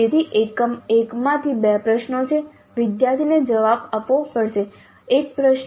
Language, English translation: Gujarati, So there are two questions from unit 1, student has answer one question